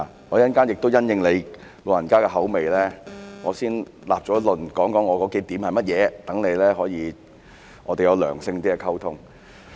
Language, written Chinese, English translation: Cantonese, 我稍後亦會因應你的口味，先立論，說出我的數個論點是甚麼，讓我們有較良性的溝通。, I will first set forth my several arguments according to your preference so that we can have a healthier communication